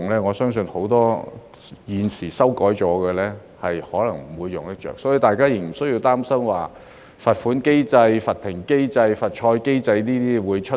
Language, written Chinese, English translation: Cantonese, 我相信，很多我們現在修改的規則，可能不會用得着，所以，大家不用擔心甚麼罰款機制、罰停賽機制會出現。, I believe many of the rules amended by us now may not be put to use . So Members should not worry about the presence of a mechanism for financial penalty or suspension from the service of the Council